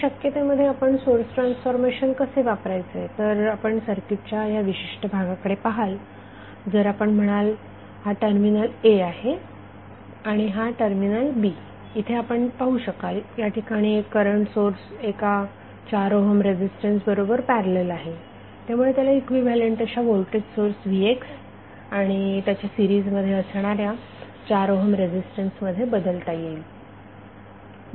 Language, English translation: Marathi, How you will use source transformation in this case so, you will see this particular segment of the circuit, if you say this is terminal A and B so what you are see, this is one current source in parallel with one 4 ohm resistance so, this can be converted into equivalent voltage source Vx and in series with 4 ohm resistance because Vs is nothing but is into R so, if you multiply we will get Vx as a voltage source in series with 4 ohm resistance and we have to find out the voltage across Vx across 2 ohm resistance